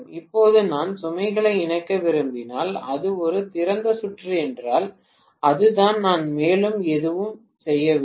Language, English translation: Tamil, Now if I want to connect the load, if it is an open circuit, that is it, I am not doing anything further